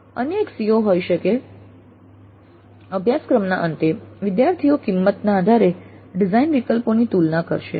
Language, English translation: Gujarati, Another CO2 may be at the end of the course students will be able to compare design alternatives based on cost